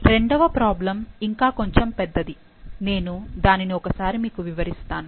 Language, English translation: Telugu, The second problem is bit big and I will go through it